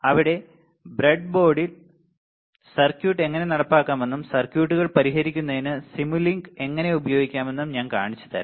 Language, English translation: Malayalam, After that will have experiment classes where I will show you how to implement the circuit on breadboard, and how to use simulink to solve some of the to solve of the circuits ok